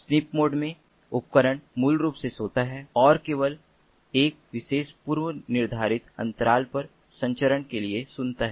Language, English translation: Hindi, in a sniff mode, the device basically sleeps and only listens for transmission at a particular predetermined, predefined interval